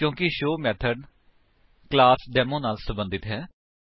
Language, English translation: Punjabi, This is because the show method belongs to the class Demo